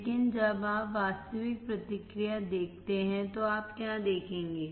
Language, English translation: Hindi, But when you see actual response, what you will see